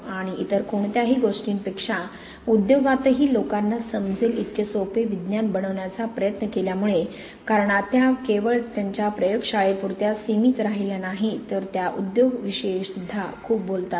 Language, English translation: Marathi, And more than anything else, for trying to make science easy enough for people to understand even in industry, because she does not stick only to her lab space but she talks a lot with industry